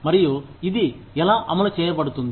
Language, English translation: Telugu, And, how it is implemented